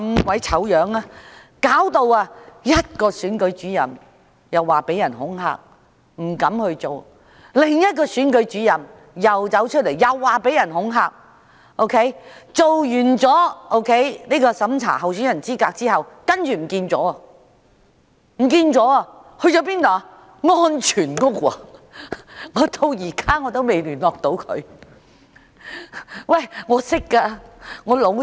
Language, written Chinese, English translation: Cantonese, 試想一想，一名選舉主任因遭恐嚇而不敢再做下去，另一名選舉主任出來指自己曾被恐嚇，完成審查候選人資格後，更失了蹤，原來她已入住安全屋，我至今仍未能跟她聯絡，她是我的好朋友。, Another Returning Officer came forward to say that she had been intimidated . After completing the verification of the eligibility of a candidate she even disappeared . It turned out that she had moved to a safe house